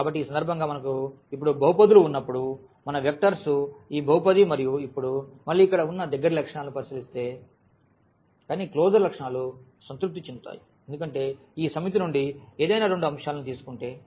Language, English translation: Telugu, So, in this case when we have polynomials now so, our vectors are these polynomials and now, again if we look at the closer properties here, but the closure properties are satisfied because if we take any two elements from this set